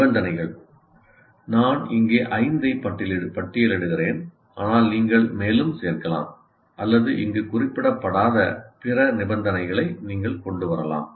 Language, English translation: Tamil, As I said, I am listing five here, but there can be, you can add more or you can bring other conditions that are not addressed as a part of any of this